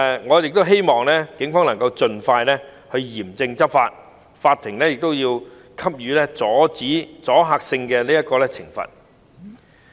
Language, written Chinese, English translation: Cantonese, 我希望警方能夠盡快嚴正執法，法庭也要給予阻嚇性的懲罰。, I hope that the Police will strictly enforce the law as soon as possible and the court will impose penalties with deterrent effect